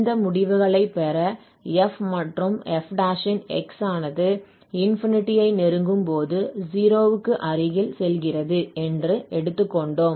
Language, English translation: Tamil, And then we have also assumed that f and f prime goes to 0 as x approaches to infinity to get these results